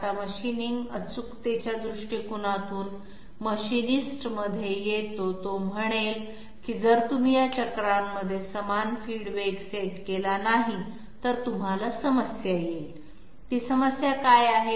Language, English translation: Marathi, Now comes in the machining from the from the machining accuracy point of view, he will say that if you do not set up equal feed velocity in these cycles, you will have a problem, what is that problem